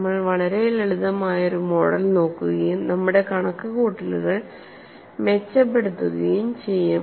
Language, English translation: Malayalam, This could be done in many days, we would look at a very simple model and then improve our calculations